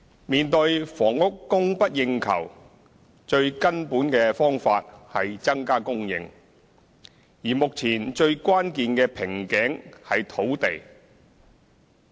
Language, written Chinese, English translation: Cantonese, 面對房屋供不應求，最根本的方法是增加供應，而目前最關鍵的瓶頸是土地。, In face of the demand - supply imbalance in housing the most fundamental solution is to increase supply . Currently the most crucial bottleneck is land